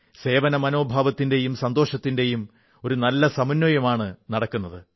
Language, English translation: Malayalam, There is a wonderful confluence of a sense of service and satisfaction